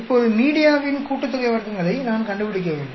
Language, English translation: Tamil, Now, I need to find out media sum of squares